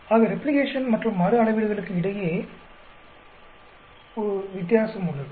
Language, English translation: Tamil, So, there is a difference between replication and repeat measurements